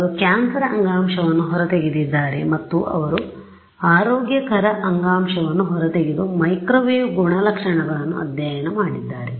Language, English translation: Kannada, They have extracted cancerous tissue and they have extracted healthy issue and they have studied the microwave properties